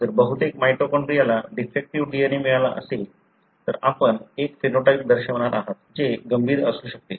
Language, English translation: Marathi, If majority of the mitochondria has got defective DNA, you are going to show a phenotype, which could be severe